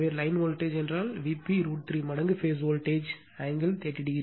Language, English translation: Tamil, So, line voltage means is equal to root 3 times phase voltage angle 30 degree